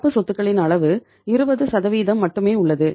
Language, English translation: Tamil, And the extent of the current assets is only 20%